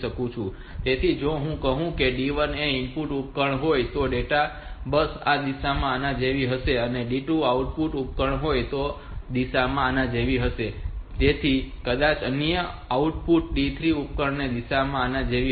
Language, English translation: Gujarati, So, it may be if it is i say if D1 is an input device so the data bus this direction will be like this, if D2 is an output device direction will be like this, so that D3 maybe another output device direction will be like this